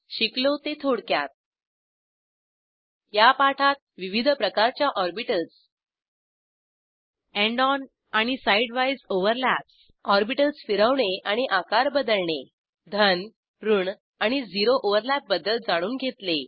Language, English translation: Marathi, In this tutorial we have learnt, * About different types of orbitals * End on and side wise overlaps * Rotation and resize of orbitals * Positive, negative and zero overlap